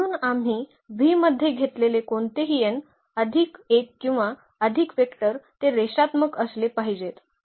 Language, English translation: Marathi, So, any n plus 1 or more vectors we take in V they must be linearly they must be linearly dependent